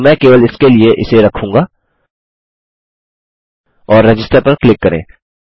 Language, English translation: Hindi, But I will just put them there for the sake of it and click Register